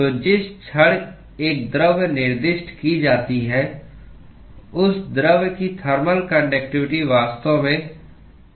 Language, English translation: Hindi, So, the moment a material is specified then the thermal conductivity of that material has actually fixed